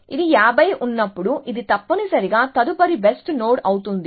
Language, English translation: Telugu, So, when this is 50, this will become the next best node essentially